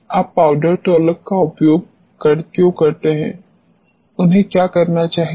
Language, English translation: Hindi, Why do you use powder talcum, what they what they should do